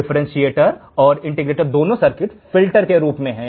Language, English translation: Hindi, Differentiator and integrator both the circuits are as filters